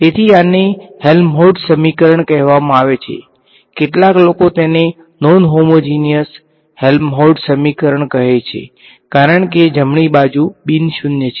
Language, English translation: Gujarati, So, this is called the Helmholtz equation some people may call it a non homogeneous Helmholtz equation because the right hand side is non zero ok